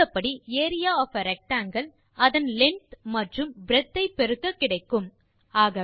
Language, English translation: Tamil, As we know, area of a rectangle is product of its length and breadth